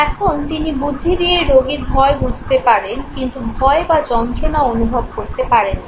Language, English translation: Bengali, Now he can intellectually realize the patient’s fear, but cannot experience fear or pain okay